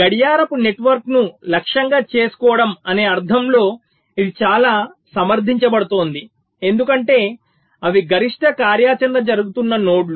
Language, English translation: Telugu, so targeting the clock network is very justified in the sense because those are the nodes where maximum activity is happening